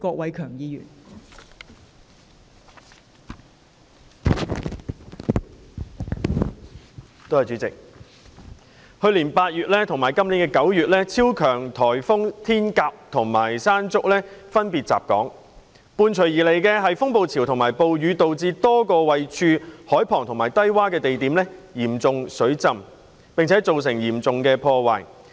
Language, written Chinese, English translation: Cantonese, 代理主席，去年8月及本年9月，超強颱風天鴿和山竹分別襲港，伴隨而來的風暴潮和暴雨導致多個位處海旁及低窪的地點嚴重水浸，並造成嚴重破壞。, Deputy President super typhoons Hato and Mangkhut hit Hong Kong respectively in August last year and September this year with the concomitant storm surges and rainstorms causing severe flooding in a number of coastal and low - lying locations and inflicting serious damages